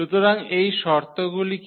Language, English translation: Bengali, So, what are these conditions